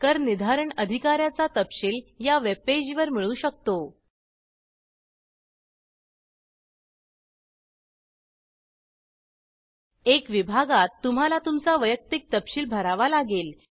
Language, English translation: Marathi, Assessing officer details can be found on these webpages In the item 1 section, you have to fill in your personal details